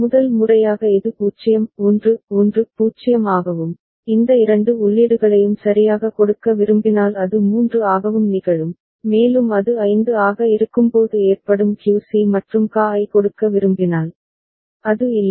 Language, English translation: Tamil, First time it will occur when 0 1 1 0 and if you want to give these two inputs right that will also occur when it is 3 and if you want to give QC and QA that occurs when it is 5, isn’t it